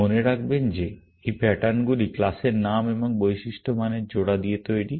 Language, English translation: Bengali, Remember that these patterns are made up of class names and attribute value pairs